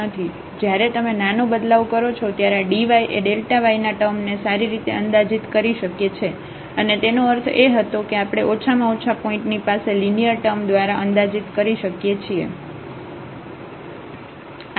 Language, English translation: Gujarati, So, if you make a smaller increment then this dy is well approximating this delta y term and that was the meaning of that, if we can approximate by the linear term at least in the neighborhood of the point